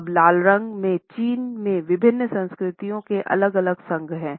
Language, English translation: Hindi, Now the red color has different associations in different cultures in China